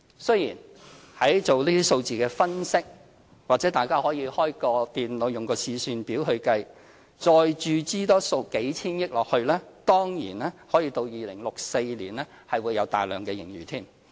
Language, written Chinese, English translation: Cantonese, 雖然在進行這些數字的分析時，或許大家可以開電腦用試算表計算，再注資數千億元下去，當然到2064年是會有大量盈餘。, Although we can simulate the injections of hundreds of billions of dollars into the model under computer analyses and maintain a large surplus in 2064 we must take into account the future generations when we deal with this kind of cross - generational transfer programme apart from merely thinking about the current elderly generation